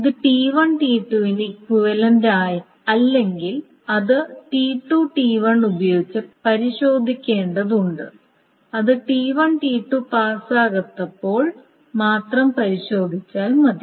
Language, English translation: Malayalam, If these were not equivalent to T1 T2, they needed to be checked with T2 T1, not other, I mean only when T, T2 did not pass the test